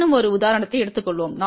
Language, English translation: Tamil, Let us take a one more example